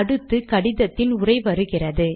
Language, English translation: Tamil, The text of the letter comes next